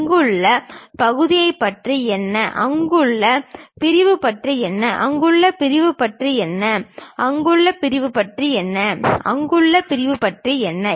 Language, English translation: Tamil, What about the section here, what about the section there, what about the section there, what about the section there and what about the section there